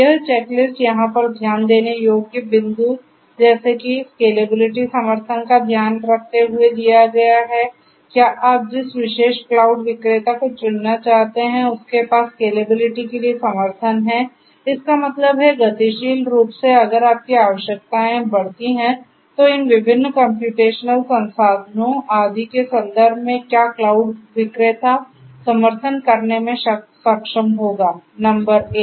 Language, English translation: Hindi, So, this checklist is given over here taking into consideration points such as scalability support whether the particular cloud vendor that you want to choose has support for scalability; that means, if you have dynamically if your increase you know requirements increase and so, on in terms of these different computational resources etc